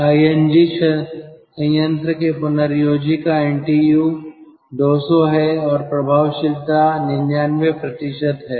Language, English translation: Hindi, regenerator for lng plant: ntu is two hundred and effectiveness is ninety nine percent